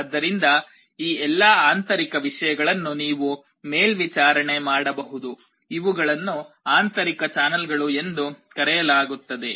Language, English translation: Kannada, So, all these internal things you can monitor; these are called internal channels